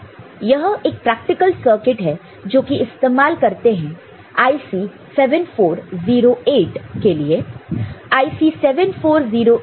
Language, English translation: Hindi, This is a practical circuit which is in use for IC 7408